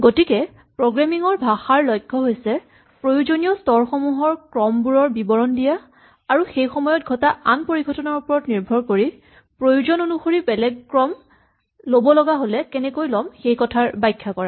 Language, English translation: Assamese, So, the goal of programming language is to be able to describe the sequence of steps that are required and to also describe how we might pursue different sequences of steps if different things happen in between